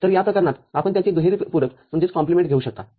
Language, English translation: Marathi, So, in this case, you can take double complement of it